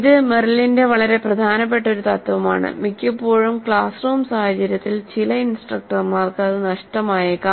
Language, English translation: Malayalam, This is an extremely important principle of Merrill and quite often in the classroom scenario some of the instructors may be missing it